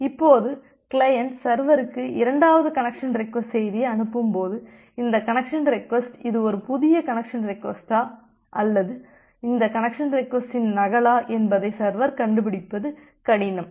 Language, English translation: Tamil, Now, when the client sends the second connection request message to the server, it becomes difficult for the server to find out whether this connection request it is a new connection request or it is a duplicate of this connection request